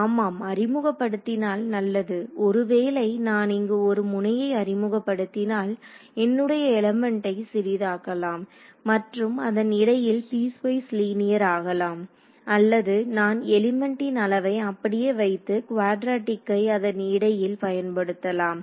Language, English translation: Tamil, So, the question is if I introduce one more node over here I can make my element smaller and have linear piecewise linear between them or I can keep the element size the same and now use a quadratic in between